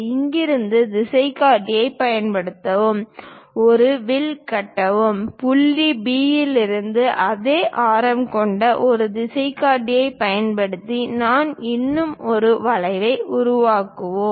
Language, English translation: Tamil, Use compass from here, construct an arc; with the same radius from point B, also using compass, I will construct one more arc